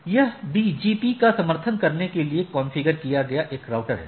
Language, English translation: Hindi, So, it is a router configured to support BGP